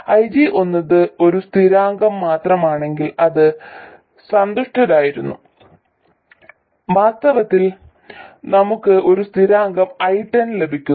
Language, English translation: Malayalam, We were actually we would be happy if IG were just a constant, in fact we get a constant and 0